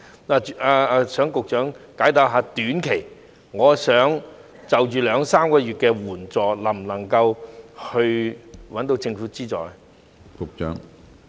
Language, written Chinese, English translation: Cantonese, 我想局長解答一下，如果只是短期兩三個月的需要，能否得到政府援助？, May I ask the Secretary whether a person who only needs short - term assistance for two or three months can get government assistance?